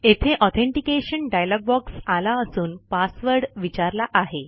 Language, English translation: Marathi, Here, an authentication dialog box appears asking for the Password